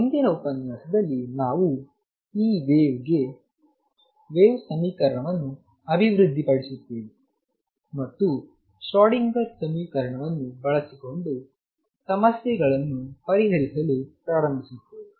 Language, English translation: Kannada, In the next lecture we will develop the wave equation for this wave, and start solving problems using the Schrodinger equation